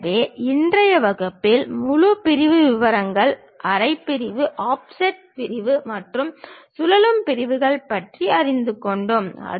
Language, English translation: Tamil, So, in today's class we have learned about full section details, half section, offset section and revolve sections